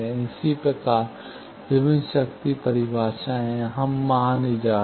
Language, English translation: Hindi, Similarly, there are various power definitions; we are not going there